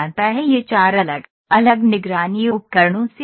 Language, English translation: Hindi, It is composed of 4 different monitoring tools